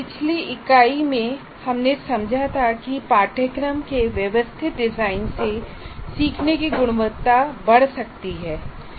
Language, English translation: Hindi, In the previous unit, we understood the significant contribution a systematic design of a course can make to the quality of learning